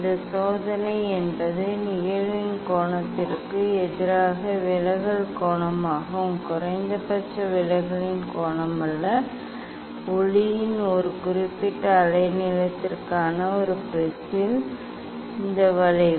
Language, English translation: Tamil, this experiment is draw angle of incidence versus angle of deviation, not angle of minimum deviation; this curve of a prism for a particular wavelength of light